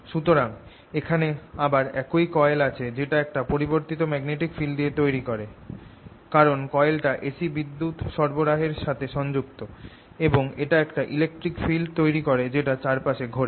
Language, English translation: Bengali, so what i have here is again the same coil that produces a changing magnetic field, because this is connected to the a c and it produces this electric field which is going around